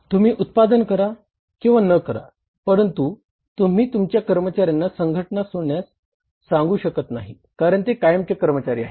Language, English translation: Marathi, You can't ask your employees to leave the organizations because they are permanent employees